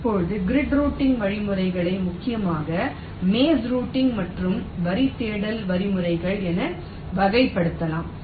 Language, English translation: Tamil, ok, now grid working algorithms mainly can be classified as maze routing and line search algorithms, as we shall see